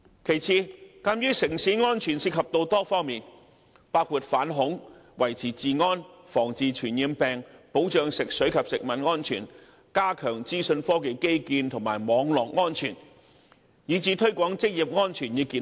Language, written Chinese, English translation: Cantonese, 其次，城市安全涉及多方面，包括反恐、維持治安、防治傳染病、保障食水及食物安全、加強資訊科技基建及網絡安全，以至推廣職業安全與健康。, Secondly the subject of safe city involves numerous aspects including anti - terrorism law and order prevention and control of infectious diseases food and water safety and the enhancement of IT infrastructure and cybersecurity as well as the promotion of occupational safety and health